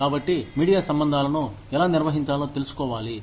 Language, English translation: Telugu, So, one has to know, how to handle, media relations